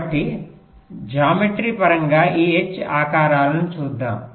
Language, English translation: Telugu, so let us look at this h shapes in terms of the geometry